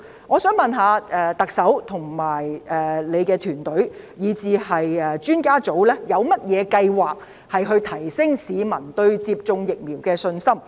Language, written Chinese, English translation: Cantonese, 我想問，特首及她的團隊，以至顧問專家委員會，有甚麼計劃提升市民對接種疫苗的信心？, I wish to ask the Chief Executive and her team as well as the advisory panel What plans do they have to boost peoples confidence in vaccination?